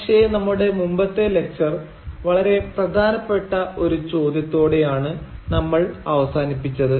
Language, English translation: Malayalam, But we ended our previous lecture with a very important question